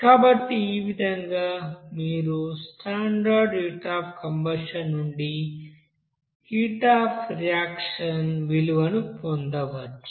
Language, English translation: Telugu, So in this way you can have this value of heat of reaction from this standard heat of combustion